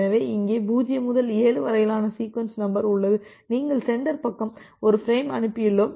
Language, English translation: Tamil, So, here is the sequence number from 0 7 so, say at the sender side you have sent one frame